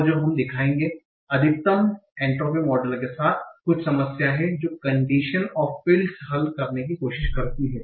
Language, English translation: Hindi, And what we will show, there is some problem with the maximum to be model that conditional fields try to handle